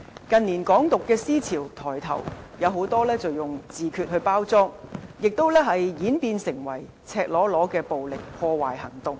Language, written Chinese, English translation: Cantonese, 近年，"港獨"思潮抬頭，很多時以自決來包裝，並演變為赤裸裸的暴力破壞行動。, The idea of Hong Kong independence has gathered pace in recent years mostly packaged as self - determination and has evolved into some naked act of violence